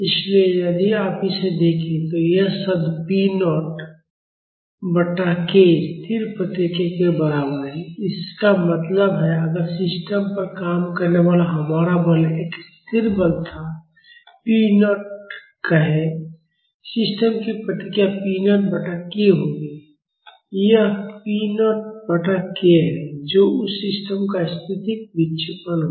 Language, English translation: Hindi, So, if you look at this, this term p naught by k is equivalent to the static response; that means, if our force acting on the system was a constant force, say p naught, the response of that system would be p naught by the stiffness of the system; that is p naught by k that will be the static deflection of that system